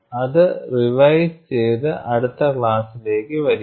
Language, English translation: Malayalam, Go and brush up that, and come for the next class